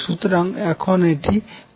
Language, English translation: Bengali, So, let us do that now